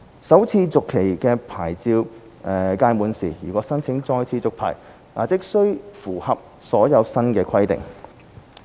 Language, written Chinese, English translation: Cantonese, 首次續期的牌照屆滿時，如申請再次續牌，則須符合所有新的規定。, Upon expiry of this first - renewed licence they will have to meet all new requirements if they apply for further renewal of their licences